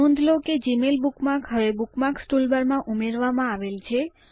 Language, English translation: Gujarati, Observe that the Gmail bookmark is now added to the Bookmarks toolbar